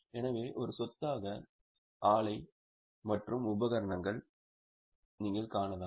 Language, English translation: Tamil, So, property plant and equipment is described